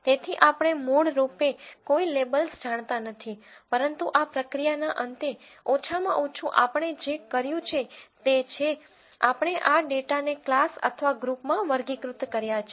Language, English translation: Gujarati, So, we originally do not know any labels, but at the end of this process at least what we have done is, we have categorized this data into classes or groups